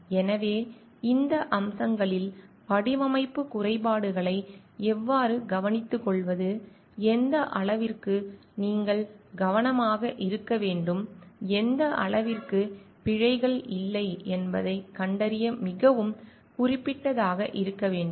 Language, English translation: Tamil, So, in these aspects so how to take care of the design flaws, to what extent you need to be careful, to what extent you need to be very specific to find out like errors are not there